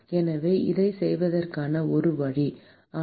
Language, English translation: Tamil, So, that is one way to do that, but